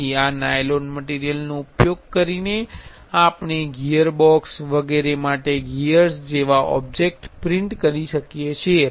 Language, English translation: Gujarati, So, using this nylon material we can print objects like gears for gearbox etcetera